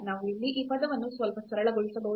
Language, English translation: Kannada, We can simplify little bit this term here